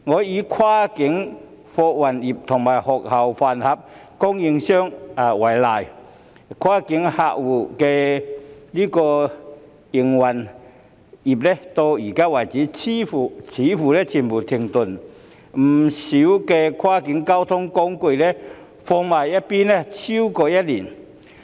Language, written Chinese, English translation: Cantonese, 以跨境客運業和學校飯盒供應業為例，前者的營運至今似乎已全面停頓，不少跨境交通工具停用逾1年。, Take the cross - boundary passenger service sector and the school lunch suppliers as examples . The business of the former has seemingly come to a complete halt with a lot of cross - boundary transportation ceasing to operate for more than a year